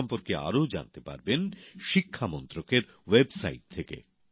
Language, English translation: Bengali, Information about this can be accessed from the website of the Ministry of Education